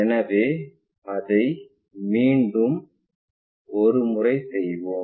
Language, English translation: Tamil, So, let us do it once again